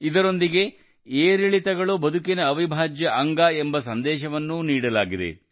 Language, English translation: Kannada, Along with this, the message has also been conveyed that ups and downs are an integral part of life